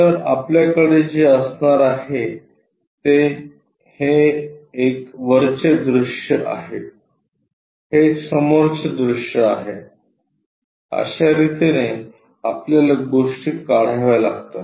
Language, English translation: Marathi, So, what you are going to have is top view a top front view as it is, that is the way we have to draw the things